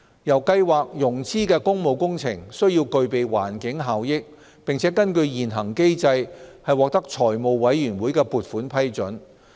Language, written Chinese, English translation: Cantonese, 由計劃融資的工務工程，須具備環境效益，並根據現行機制獲得財務委員會的撥款批准。, The Programme will only finance public works projects with environmental benefits and approved by the Finance Committee under the existing mechanism